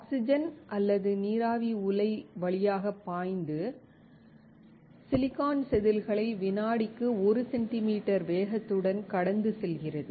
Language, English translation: Tamil, Oxygen or water vapor flows through the reactor and pass the silicon wafers with typical velocity of 1 centimeter per second